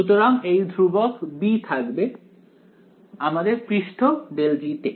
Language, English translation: Bengali, So, my constant b will be there over the surface grad G right